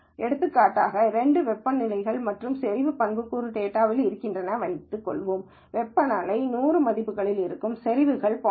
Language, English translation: Tamil, So, for example, if there are two attributes, let us say in data temperature and concentration, and temperatures are in values of 100, concentrations are in values of 0